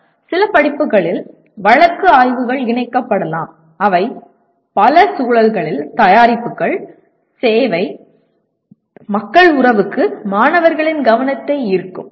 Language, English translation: Tamil, One of the ways is case studies can be incorporated in some courses that will bring the attention of students to products service people relationship in a number of contexts